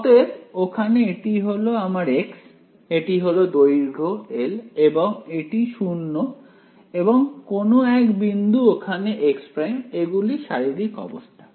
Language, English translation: Bengali, So, again over here this is my x, this is my the length l this is 0 and some point over here is x prime that is the physical situation ok